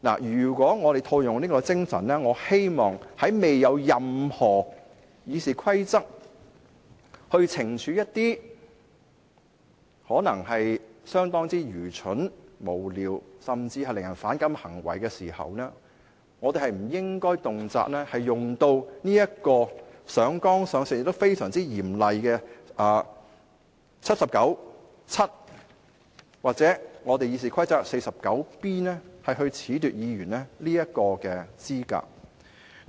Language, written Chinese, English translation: Cantonese, 如果套用這個精神，我希望在未有任何《議事規則》可用以懲處一些可能相當愚蠢、無聊，甚至令人反感的行為時，我們不應動輒上綱上線，引用非常嚴厲的《基本法》第七十九條第七項或《議事規則》第 49B 條褫奪議員的資格。, In line with this spirit I hope that before there is any rule in RoP for punishing behaviour which may be stupid frivolous and even offensive we should not easily escalate them to the political plane and invoke the very harsh Article 797 of the Basic Law or RoP 49B to disqualify a Member from office